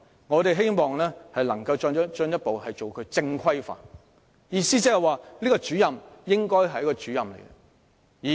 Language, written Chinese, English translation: Cantonese, 我們希望能夠進一步把它正規化，意思是該名主任應該是一名真正的主任。, We hope that they can be further regularized in that there would be bona fide SEN Coordinators